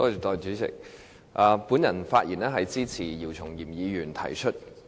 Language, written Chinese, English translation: Cantonese, 我發言是支持姚松炎議員提出的議案。, I speak in support of the motion moved by Dr YIU Chung - yim